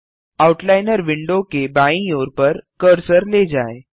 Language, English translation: Hindi, Move the mouse cursor to the left edge of the Outliner window